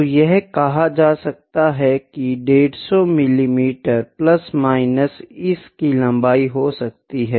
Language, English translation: Hindi, So, it can be 150 mm plus minus